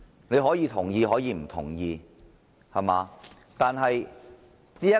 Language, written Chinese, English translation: Cantonese, 議員可以同意也大可不同意我的建議。, Members can either agree or not agree to my proposals